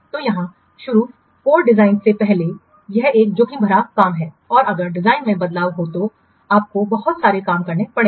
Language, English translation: Hindi, So, here starting the code before design, it's a risky thing and you have to redo so many works if the design changes